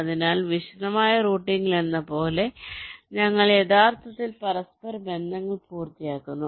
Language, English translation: Malayalam, so where, as in detail routing, we actually complete the interconnections